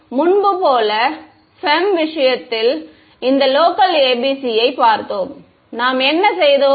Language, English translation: Tamil, So, as before when we looked at this local ABC in the case of FEM what did we do